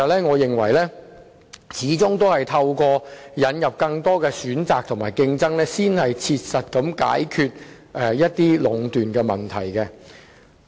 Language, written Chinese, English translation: Cantonese, 我認為始終應透過引入更多選擇和競爭，才可切實地解決壟斷的問題。, I think that after all the issue of monopolization can only be practically addressed by the introduction of more choices and competition